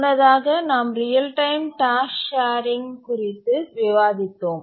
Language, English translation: Tamil, In the last lecture we are discussing about how real time tasks and share resources